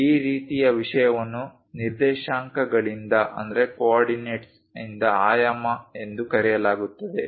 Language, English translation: Kannada, This kind of thing is called dimensioning by coordinates